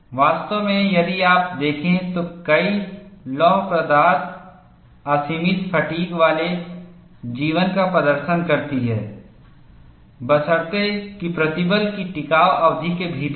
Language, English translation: Hindi, In fact, if you look at many ferrous materials exhibit unlimited fatigue life, provided that the stresses are within the endurance limit